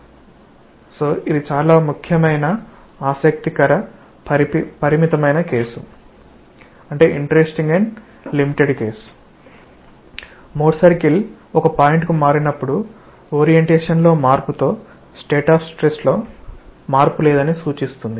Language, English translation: Telugu, So, this is a very important interesting limiting case, when the Mohr circle swings to a point signifying that there is no change in state of stress with change in orientation